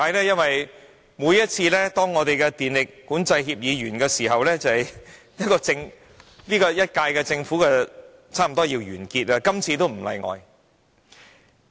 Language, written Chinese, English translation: Cantonese, 因為每次當我們的電力管制協議有效期屆滿時，便是政府差不多換屆的時候，今次也不例外。, Whenever the Scheme of Control Agreements we entered with the power companies are about to expire we will soon have a change of government . There is no exception this time